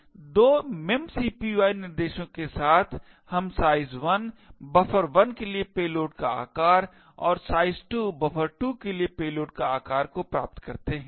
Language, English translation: Hindi, So, therefore with these 2 memcpy instructions we obtain size 1 to be the size of the payload for buffer 1 and size 2 to be the size of the payload for buffer 2